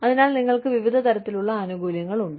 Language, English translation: Malayalam, So, you have various types of benefits